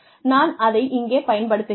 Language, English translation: Tamil, So, I will use this here